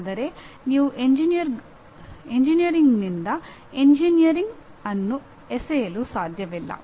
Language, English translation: Kannada, But you cannot throw away engineering from engineering